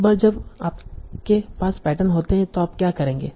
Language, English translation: Hindi, Now once you have patterns what you will do